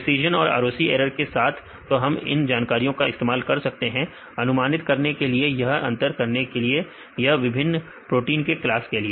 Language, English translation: Hindi, Along with precision as well as the ROC error; so now we can use this information to use to predict or to discriminate or any different classes of these proteins